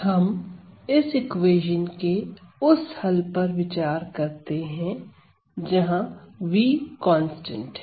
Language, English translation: Hindi, So, let us look at the solution to this equation with v constant